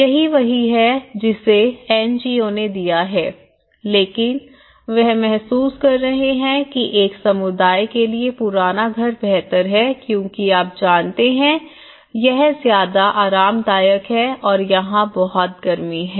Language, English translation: Hindi, That is what exactly the NGOs have given but now, they are realizing that a community it is better have a old house because it is much more you know, thermally it is more comfortable and here, sun is very hot